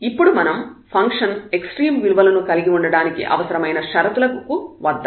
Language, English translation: Telugu, And then we come to the necessary conditions or condition for a function to have extremum